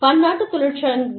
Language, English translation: Tamil, Multi national unions